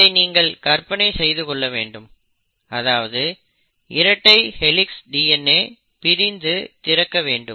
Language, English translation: Tamil, So it is like you imagine that this is your double helix DNA and then it has to open up